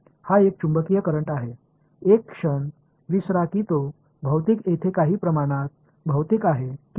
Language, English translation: Marathi, It is a magnetic current, forget for a moment whether it is physical not physical its some quantity over here